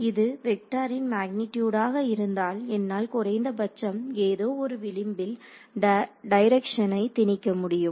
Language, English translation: Tamil, So, if it is the magnitude of this vector I am at least able to impose a direction along some edge ok